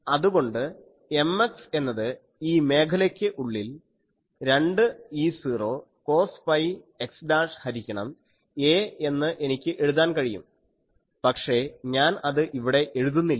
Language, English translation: Malayalam, So, I can writing M x is 2 E not cos pi x dashed by a again in this zone, I am not writing